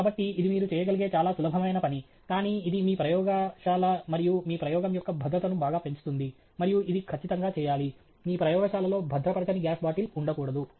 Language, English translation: Telugu, So, this is a very simple thing that you can do, but greatly enhances the safety of your laboratory and your experiment and it is an absolute must; you should not have a gas bottle which is not secured in your lab